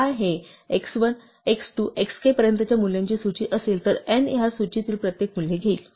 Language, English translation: Marathi, So, n now if a l is a list of values x1, x2 up to xk, n will take each value in this list